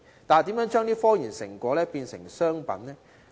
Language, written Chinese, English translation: Cantonese, 但是，如何將這些科研成果轉化成為商品？, But how do we turn these results in scientific research into commercial products?